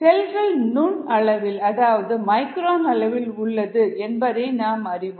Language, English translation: Tamil, the cells, you know they are micron sized